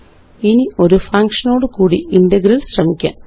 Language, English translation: Malayalam, Now let us try an integral with a function